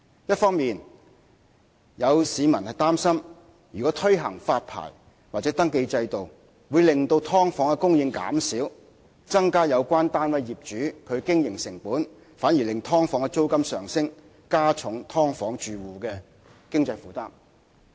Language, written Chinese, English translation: Cantonese, 一方面，有市民擔心如推行發牌或登記制度，會令"劏房"的供應減少及增加有關單位業主的經營成本，反而會令"劏房"的租金上升，加重"劏房戶"的經濟負擔。, On the one hand some people worried that a licensing or registration system would lead to the reduction of subdivided units available in the market and an increase in the operating costs of the landlords of such units which would in turn push up the rent to enhance financial burden of residents of subdivided units